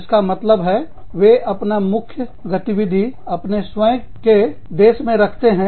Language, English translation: Hindi, Which means, they keep the main operations, within their own organization